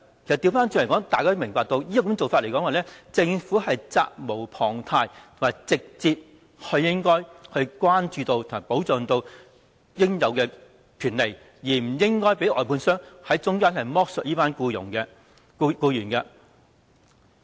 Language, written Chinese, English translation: Cantonese, 反過來說，大家都明白，政府責無旁貸，應該直接關注和保障員工應有的權利，不應該讓外判商在中間剝削這群僱員。, On the other hand we all understand that the Government is duty - bound to care about and protect the due rights of employees and should not allow contractors to exploit this group of employees